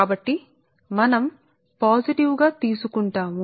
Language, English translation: Telugu, so we will take the positive one right